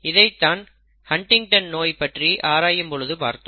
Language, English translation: Tamil, We have already seen this in the case of Huntington’s disease, okay